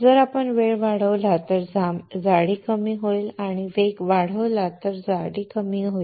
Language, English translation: Marathi, If we increase the time the thickness will decrease and if we increase the speed the thickness will decrease